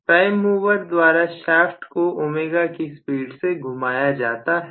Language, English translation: Hindi, The shaft is rotated at a speed of ω by the prime mover